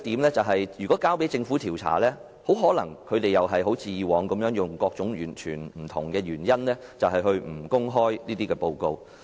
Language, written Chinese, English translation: Cantonese, 再者，如果交由政府調查，政府很可能像以往一樣用各種原因，不公開報告。, In addition if the Government is to conduct the investigation it may probably give various reasons not to make public the report as it did in the past